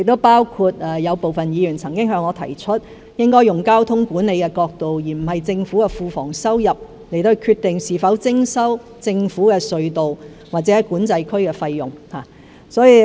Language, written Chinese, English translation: Cantonese, 部分議員也曾向我提出，應從交通管理而不是政府庫房收入的角度，決定是否徵收政府隧道或管制區的費用。, Some Members have also suggested to me that we should determine whether fees should be collected for the use of government tolled tunnels and Control Areas from the perspective of traffic management rather than government revenue